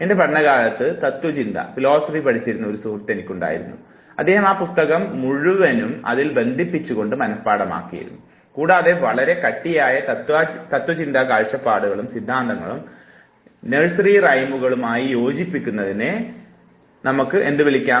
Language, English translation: Malayalam, During my student days I had a friend in philosophy and he would memorize the entire book just by attaching it, and what you call putting and fitting the theories hardcore philosophical view points and theories into nursery rhymes